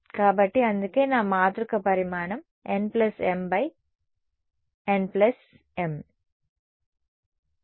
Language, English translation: Telugu, So, that is why my matrix size was n plus m cross n plus m